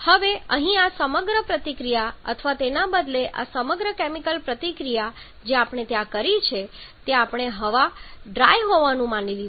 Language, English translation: Gujarati, Now here this entire reaction or rather this entire chemical reaction that we have done there we are assume the air to be dry